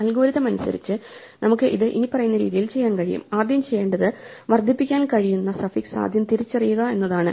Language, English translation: Malayalam, So, algorithmically we can do it as follows, what we need to do is first identify the suffix that can be incremented